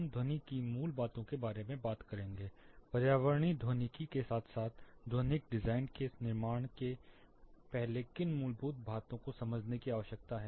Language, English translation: Hindi, We will talk about basics of sound, what fundamental things need to be understood before getting on with environmental acoustics as well as building acoustical design